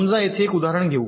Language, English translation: Marathi, lets take one example here